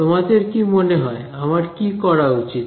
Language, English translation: Bengali, So, what do you suggest I do